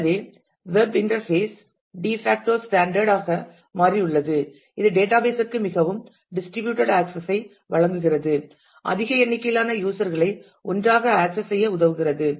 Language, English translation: Tamil, So, web interface has become the de facto standard which gives a very distributed access to the database enables large number of users to access together